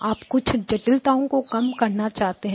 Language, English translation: Hindi, You wanted to reduce the overall complexity